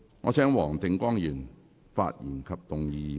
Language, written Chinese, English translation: Cantonese, 我請黃定光議員發言及動議議案。, I call upon Mr WONG Ting - kwong to speak and move the motion